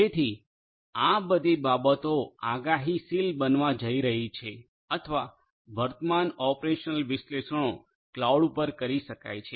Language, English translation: Gujarati, So, all of these things are going to be predictive or current operational analytics can be done at the cloud